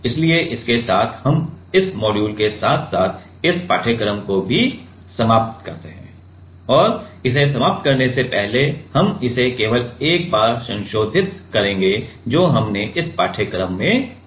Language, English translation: Hindi, So, with this, we like finish this module as well as this course and before ending so, we will just revise it once that, what we have learnt in this course